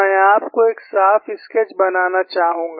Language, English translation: Hindi, I would like you to make a neat sketch